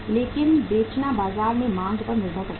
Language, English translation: Hindi, But selling depends upon the demand in the market